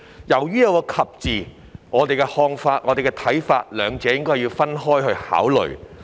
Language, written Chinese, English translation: Cantonese, 由於兩者以"及"字相連，我們的看法是該兩部分應要分開考慮。, Since they are connected by the word and we hold that those two parts should be considered separately